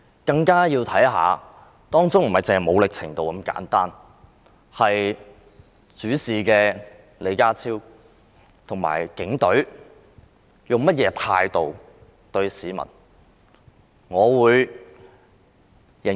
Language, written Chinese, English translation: Cantonese, 更需要知道的，不僅是所使用的武力程度，還有主事的李家超和警隊以甚麼態度對待市民。, Apart from the level of force people also wanted to know the attitude adopted by John LEE the officer in charge and the Police Force in treating the people